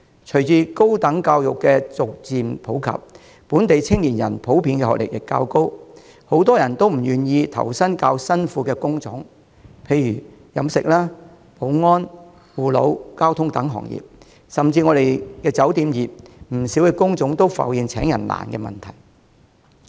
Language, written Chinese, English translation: Cantonese, 隨着高等教育逐漸普及，本地青年人普遍學歷較高，很多人都不願投身體力勞動量較大的工種，例如飲食、保安、護老、交通等行業，甚至酒店業也有不少工種浮現招聘困難的問題。, With the gradual popularization of tertiary education local young people generally attain higher levels of education and many are unwilling to work in positions requiring much physical labour such as those in catering security elderly services and transport . Nowadays even the hotel industry meets difficulties in recruitment for a number of job types